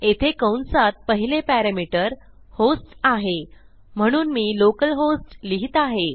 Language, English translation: Marathi, And inside this the first parameter will be a host which is localhost for me